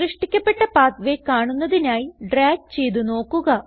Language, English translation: Malayalam, Drag to see the created pathway